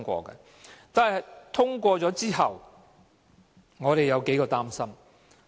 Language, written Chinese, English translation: Cantonese, 不過，《條例草案》通過之後，我們有數點擔心。, However we have some concerns after the passage of the Bill